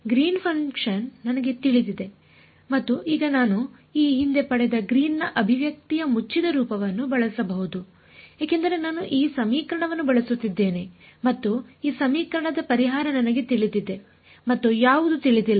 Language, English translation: Kannada, I also know Green's function and now I can use the closed form Green's ex expression which I derived previously why because I am using this equation and I know the solution on this equation and what is unknown